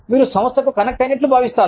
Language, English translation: Telugu, You will feel connected, to the organization